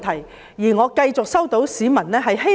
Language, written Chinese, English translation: Cantonese, 我亦繼續接獲市民的意見。, Yet I have still received comments from the public